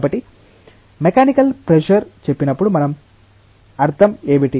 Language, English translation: Telugu, So, when we say mechanical pressure what we mean